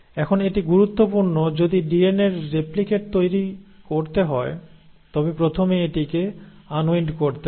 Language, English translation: Bengali, Now it is important if the DNA has to replicate, it has to first unwind